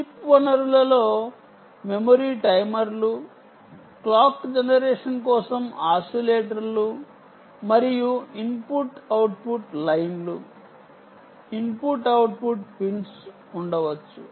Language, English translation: Telugu, on chip resources could include memory timers, oscillators for clock generation and input output lines, input output pins essentially ok